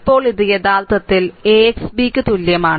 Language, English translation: Malayalam, Now, this is actually your AX is equal to B